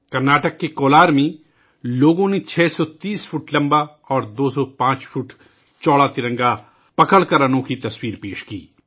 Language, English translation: Urdu, In Kolar, Karnataka, people presented a unique sight by holding the tricolor that was 630 feet long and 205 feet wide